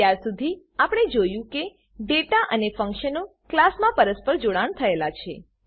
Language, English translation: Gujarati, So far now we have seen, The data and functions combined together in a class